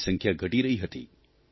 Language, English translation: Gujarati, Their number was decreasing